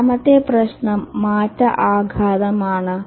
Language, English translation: Malayalam, The second problem is change impact